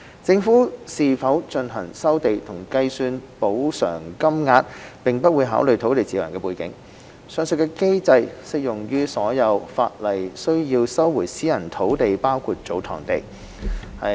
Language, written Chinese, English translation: Cantonese, 政府是否進行收地和計算補償金額並不會考慮土地持有人的背景，上述機制適用於所有按法例需要收回的私人土地包括祖堂地。, The background of the landowner will not be considered when deciding whether to resume a piece of land and the calculation of the compensation amount and the above mechanism is applicable to all private land needed to be resumed including tsotong land